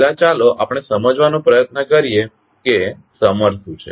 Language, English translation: Gujarati, First let us try to understand what is summer